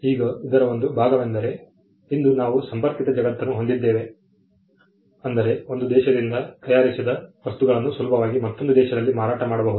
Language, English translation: Kannada, Now, part of this is due to the fact that today we have a connected world where things manufactured from one country can easily be sold in another country